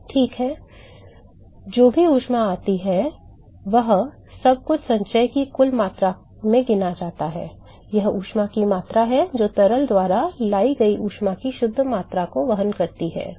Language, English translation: Hindi, Right, but whatever heat comes in leaves the everything is accounted in the total amount of accumulation, this is the amount of heat that is carried net amount of heat carried by the fluid